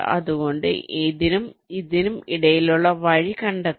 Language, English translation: Malayalam, so i have to find out path between this and this